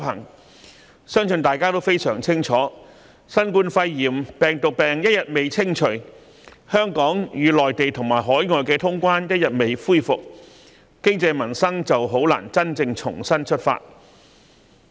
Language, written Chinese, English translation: Cantonese, 我相信大家均非常清楚，新冠肺炎病毒病一日未清除，香港與內地及海外通關的安排一日未能恢復，經濟民生便難以真正重新出發。, I think we all understand very clearly that as long as the epidemic involving the Coronavirus Disease 2019 COVID - 19 is not contained and travel between Hong Kong and the Mainland as well as overseas countries is not resumed there will not be a genuine restart of our economy and peoples normal life . We cannot be fed on illusions